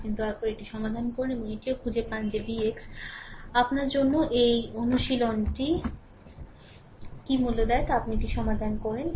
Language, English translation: Bengali, You please solve it and also you find out what is V x value an a exercise for you and you solve it